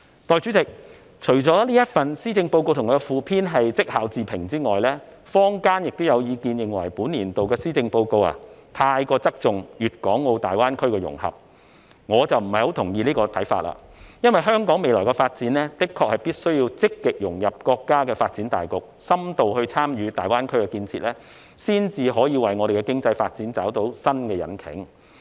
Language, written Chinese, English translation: Cantonese, 代理主席，施政報告及其附篇除了被認為是績效自評外，坊間亦有意見認為本年度的施政報告太側重大灣區的融合，但我卻不太同意這個看法，因為就香港未來的發展，我們的確必須積極融入國家的發展大局，深度參與大灣區建設，這樣，我們才能為香港經濟發展找到新引擎。, Deputy President apart from the Policy Address and its Supplement being considered as a self - appraisal some in the community have also commented that the Policy Address this year has overemphasized our integration into GBA . But I do not quite agree with this view because when it comes to Hong Kongs future development we must take proactive actions to integrate into the overall national development by extensively participating in the development of GBA . It is only in this way that we can find a new engine for the development of Hong Kongs economy